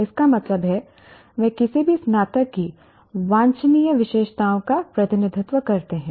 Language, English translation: Hindi, That means they represent the desirable characteristics of any graduate